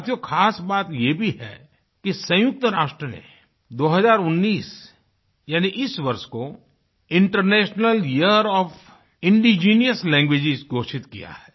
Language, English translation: Hindi, Friends, another important thing to note is that the United Nations has declared 2019 as the "International Year of Indigenous Languages"